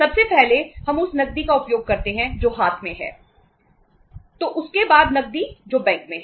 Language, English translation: Hindi, First of all we use the cash which is in hand then cash at bank